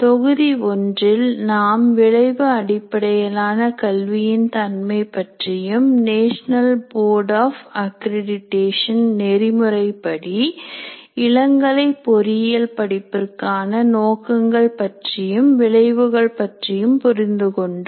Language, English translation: Tamil, In module 1, we understood the nature of outcome based education, objectives and outcomes of an undergraduate program in engineering as required by National Board of Accreditation